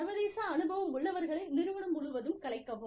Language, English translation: Tamil, Disperse people with international experience, throughout the firm